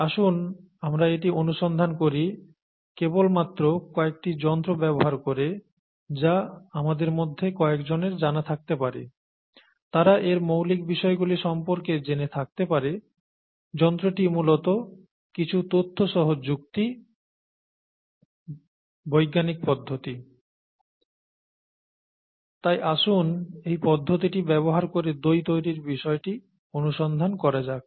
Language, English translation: Bengali, Let us investigate this just by using the tools that some of us might know, and some of us might be familiar with its basic, the tool is basically logic with some information, the scientific method, and so let us investigate curd formation using this method